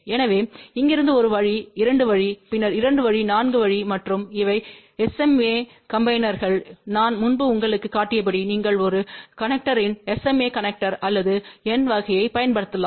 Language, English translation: Tamil, So, from here one way to 2 way and then 2 way to 4 way and these are the SMA connectors as I am shown you earlier you can use SMA connector or n type of a connector